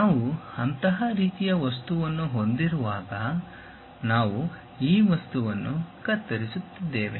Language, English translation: Kannada, When we have such kind of object we are chopping this material